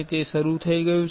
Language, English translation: Gujarati, It has started